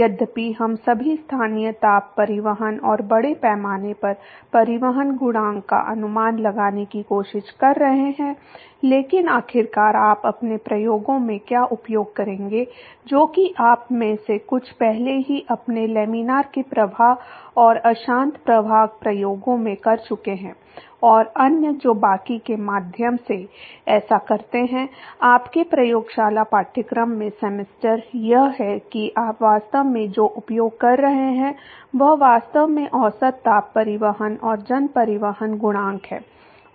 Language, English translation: Hindi, Although we are trying to estimate all the local heat transport and mass transport coefficient, but ultimately what you would be using in your experiments which is some of you have already done in your laminar flow and turbulent flow experiments and others who do that through the rest of the semester in your lab course is that what you would actually be using is actually the average heat transport and mass transport coefficient